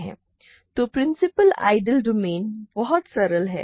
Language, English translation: Hindi, So, principal ideal domains are very simple